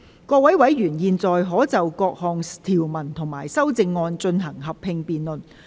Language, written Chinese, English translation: Cantonese, 各位委員現在可以就各項條文及修正案，進行合併辯論。, Members may now proceed to a joint debate on the clauses and amendments